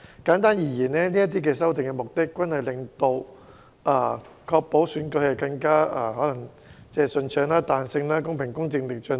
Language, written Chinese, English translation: Cantonese, 簡單而言，這些修訂的目的均是確保選舉更順暢、有彈性和公平公正地進行。, Simply put these amendments serve to ensure that elections will be conducted more smoothly flexibly fairly and justly